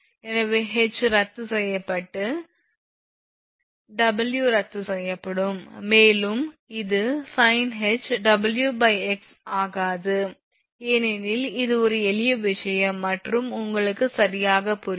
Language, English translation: Tamil, So, H, H cancelled W, W will be cancel and it will be sin hyperbolic Wx by H not showing here because this is a simple thing and understandable to you right